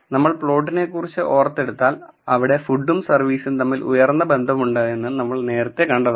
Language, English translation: Malayalam, If you recall from the scatter plot, we saw there was a high correlation between food and service